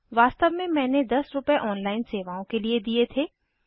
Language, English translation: Hindi, Actually I paid 10 rupees for the online services